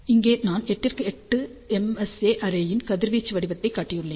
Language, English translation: Tamil, Here I have shown radiation pattern of 8 by 8 MSA array